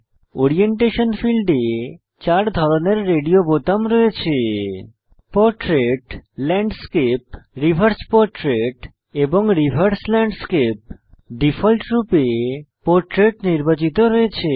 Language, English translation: Bengali, In the Orientation field we have radio buttons for Portrait, Landscape, Reverse portrait and Reverse landscape By default, Portrait is selected